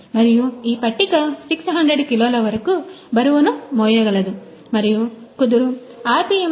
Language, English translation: Telugu, And this table can carry the weight up to the 600 kg and the spindle rpm can be up to 31